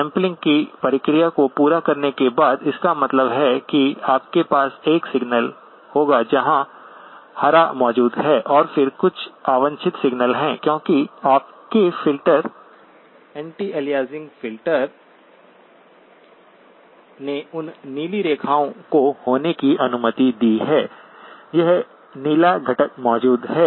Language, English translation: Hindi, After we have done the sampling process, that means you will have a signal where the green is present and then there is some unwanted signal because your filter, anti aliasing filter allowed those blue lines to be, this blue component to be present